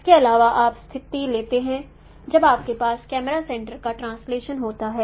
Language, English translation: Hindi, Also you take a situation when you have simply translation of camera center